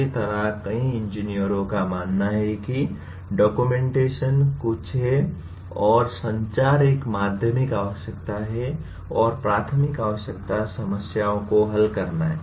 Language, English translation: Hindi, Somehow many engineers consider documentation is something or communicating is a secondary requirements and the primary requirement is to solve the problems